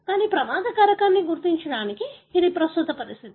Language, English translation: Telugu, But, this is the current practice to identify the risk factor